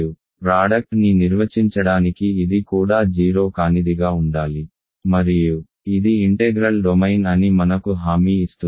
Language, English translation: Telugu, In order to define the sum and product we will need this also to be non 0 and this is what integral domain guarantees us